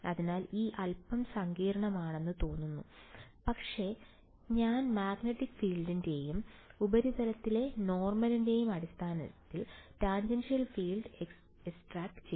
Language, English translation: Malayalam, So, it looks a little complicated, but all I have done is have extracted the tangential field in terms of the magnetic field and the normal to the surface